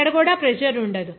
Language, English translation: Telugu, Here also there will be no pressure